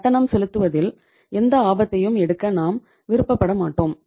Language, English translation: Tamil, We do not want to take any risk in terms of making the payment